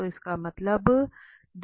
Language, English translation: Hindi, So which is equal